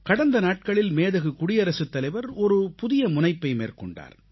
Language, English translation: Tamil, A few days ago, Hon'ble President took an initiative